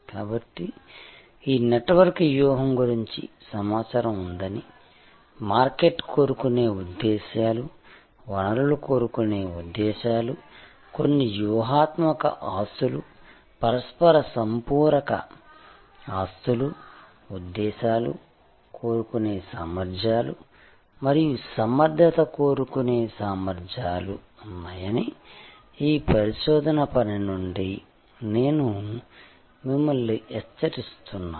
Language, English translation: Telugu, So, I am alerting to you from this research work that there are information of this network strategy, there are market seeking motives, resource seeking motives, some strategic asset, complementary asset of each other seeking motives and efficiency seeking motives